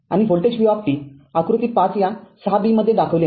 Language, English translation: Marathi, And the voltage v t shown in figure 5 this 6 b